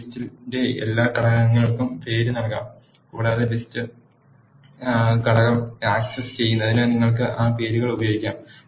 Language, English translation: Malayalam, All the components of a list can be named and you can use that names to access the components of the list